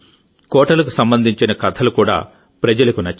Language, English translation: Telugu, stories related to Forts were also liked by people